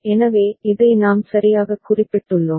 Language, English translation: Tamil, So, this we have noted right